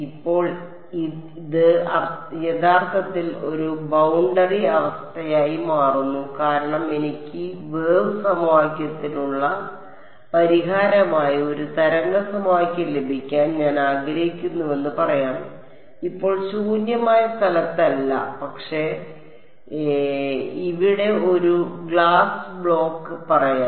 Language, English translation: Malayalam, Now this actually turns out to be a boundary condition because let us say that I have I want to get a wave equation the solution to the wave equation now not in free space, but I have a let us say a block of glass over here